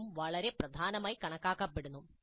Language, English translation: Malayalam, This also considered as very important